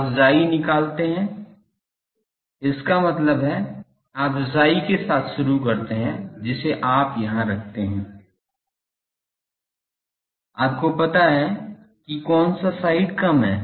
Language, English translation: Hindi, You find chi means, you start with the chi you put it here, you find out which side is less